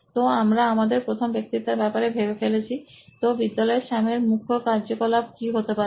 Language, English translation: Bengali, So we have I think our first persona, so in school what would be the core activity that Sam would be doing